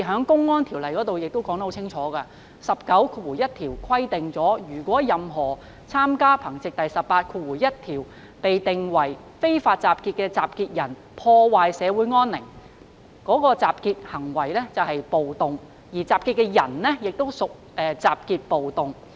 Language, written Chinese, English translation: Cantonese, 《公安條例》第191條清楚說明暴動的法律定義："如任何參與憑藉第181條被定為非法集結的集結的人破壞社會安寧，該集結即屬暴動，而集結的人即屬集結暴動"。, The categorization of riot is clearly stipulated in the law . Section 191 of the Public Order Ordinance clearly stated the legal definition of riot When any person taking part in an assembly which is an unlawful assembly by virtue of section 181 commits a breach of the peace the assembly is a riot and the persons assembled are riotously assembled